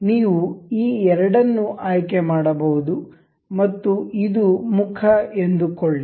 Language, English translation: Kannada, You can select these two and say this face